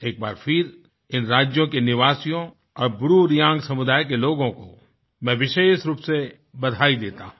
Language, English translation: Hindi, I would once again like to congratulate the residents of these states and the BruReang community